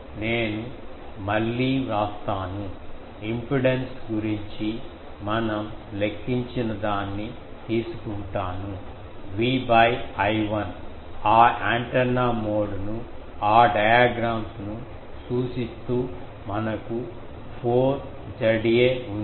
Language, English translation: Telugu, Let me again write, let me take that what about the impedance that time we calculated, can we say that V by sorry V by I 1 referring to that antenna mode those diagrams, we have 4 Z a